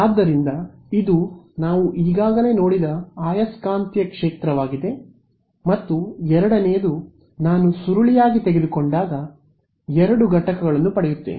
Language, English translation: Kannada, So, this is the magnetic field which we already saw first expression and the second is obtained a sort of when I take the curl of this I get two components